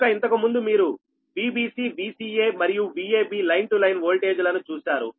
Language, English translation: Telugu, so earlier you have seen that your v b c, v c a and v a b right for line to line voltage, right